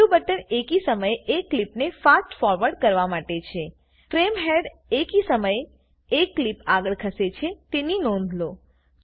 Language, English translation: Gujarati, The sixth button is to Fast Forward one clip at a time Notice that the frame head moves forward one clip at a time